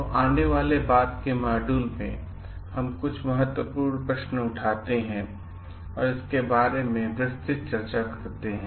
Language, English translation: Hindi, So, in the subsequent like modules, we are going to take up certain key questions and do detailed discussions about it